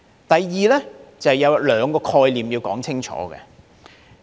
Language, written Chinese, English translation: Cantonese, 第二，就是有兩個概念要說清楚。, Second I must explain two concepts clearly